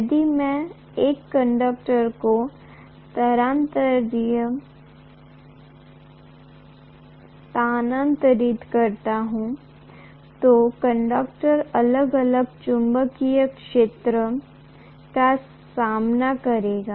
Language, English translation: Hindi, If I move a conductor, the conductor will face varying magnetic field